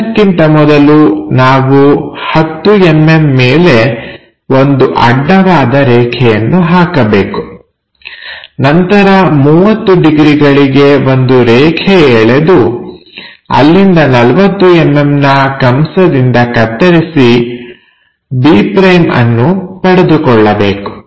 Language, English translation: Kannada, So, first of all we have to construct above 30 mm a horizontal line 30 degrees and from there 40 degrees arc to make it b’